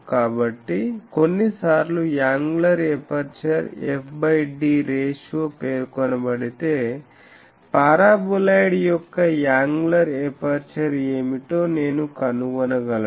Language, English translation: Telugu, So, sometimes if the angular aperture is specified f by d ratio is specified or if f by d ratio is specified, I can find what is the angular aperture of the paraboloid